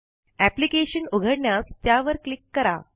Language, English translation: Marathi, Click on it to open the application